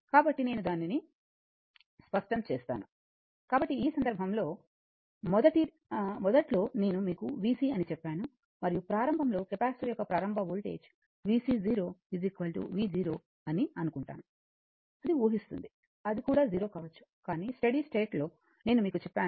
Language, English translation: Telugu, So, in this case your, so initially that is why I told you that v c your and initially we will assume that initial voltage of the capacitor was v c 0 is equal to v 0 that we are assuming it, it may be 0 also, but we are assuming that v c 0 is equal to v 0 right and at steady state I told you, v c infinity is equal to I R